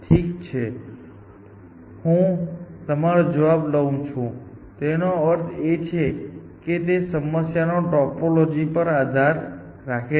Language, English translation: Gujarati, Well, I take your answer to mean it depends on the topology of the problem essentially